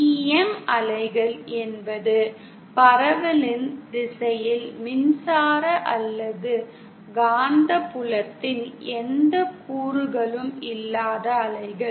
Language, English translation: Tamil, TEM waves are waves which do not have any component of electric or magnetic field along the direction of propagation